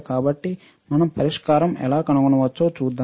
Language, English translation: Telugu, So, let us see how we can find the solution